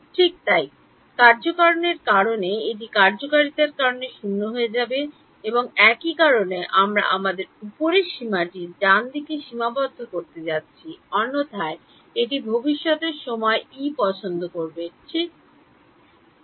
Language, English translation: Bengali, Right so, due to causality this will becomes 0 due to causality and for the same reason we are going to limit our upper limit to t right otherwise this will like E at future time instance will also come over here right